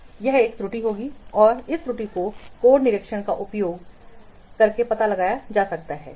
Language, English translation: Hindi, So those types of errors also can be detected by code inspection